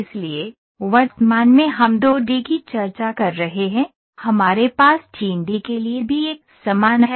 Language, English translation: Hindi, So, currently we are discussing 2 D, we also have a similar one for 3 D